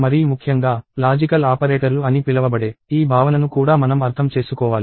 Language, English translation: Telugu, But, more importantly, we also need to understand this notion of what are called logical operators